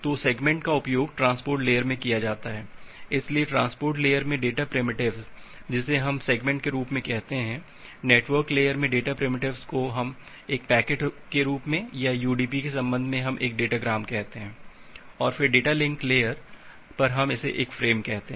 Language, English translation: Hindi, So, the segment it is used at the transport layer, so in the transport layer the data primitive we call it as a segment, at the network layer, the data primitive we term it as a packet or in the contest of UDP we call it as a data gram and then at the data link layer we call it as a frame